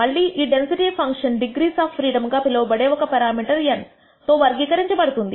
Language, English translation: Telugu, Again this density function is characterized by one parameter which is n called the degrees of freedom